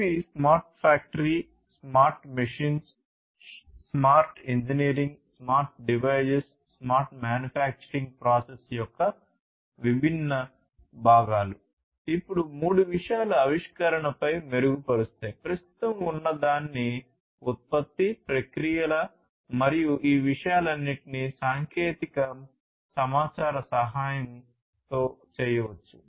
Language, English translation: Telugu, So, these are the different components of the smart factory, smart machines, smart engineering, smart devices, smart manufacturing process, then three things improving upon the innovation you know whatever was existing innovating the product the processes and so, on and the all these things can be done with the help of information technology